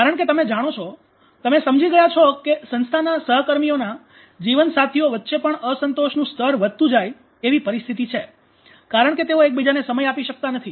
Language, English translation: Gujarati, Because you know organization situation is such there is you know growing level of dissatisfaction among spouses because, they are not able to give time to each other’s